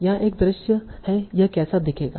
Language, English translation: Hindi, So here is one visualization of what this will look like